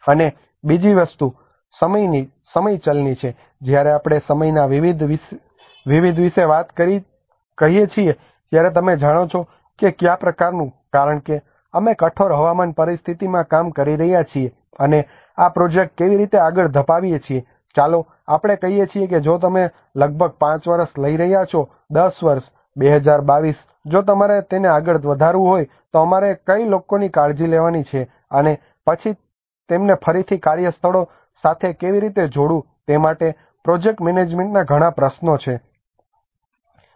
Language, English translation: Gujarati, And the second thing is about the time variables, when we say about the time various you know what kind of because we are working in a harsh weather conditions and how we are going to move this project let us say if you are taking about 5 year, 10 year, 2022 if you want to move it up then what segment of the people we have to take care and then how to connect them again back to the workplaces so there is a lot of project management issues as well